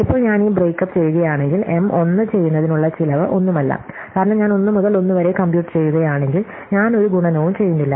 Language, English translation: Malayalam, Now, if I am doing this break up then the cost of doing M 1 is nothing, because if I am computing from 1 to 1, I am doing no multiplication